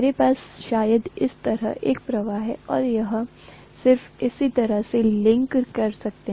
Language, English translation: Hindi, I am probably going to have a flux like this and it can just link itself like this, right